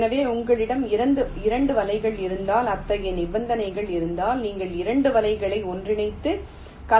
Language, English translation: Tamil, so if you have two nets for which such conditions hold, then you can merge the two nets together to form a so called composite net